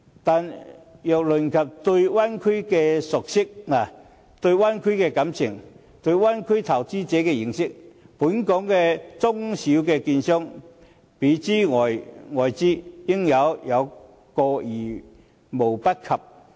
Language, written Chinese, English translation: Cantonese, 然而，如論及對灣區的熟悉，對灣區的感情，對灣區投資者的認識，本港的中小券商，比諸於外資，應是有過之而無不及。, But I must say that the small and medium securities dealers of Hong Kong are no less familiar with the Bay Area than any foreign investors and their affection for the Bay Area and their knowledge of the investors there must only be deeper than any foreign investors